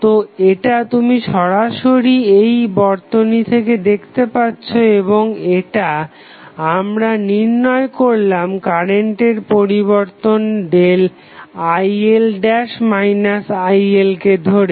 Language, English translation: Bengali, So, this you can see directly from this circuit and this is what we have derived while taking the value of change of current that is Il dash minus Il